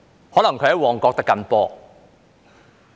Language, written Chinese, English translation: Cantonese, 可能他在旺角"的緊波"。, Maybe he would be playing football in Mong Kok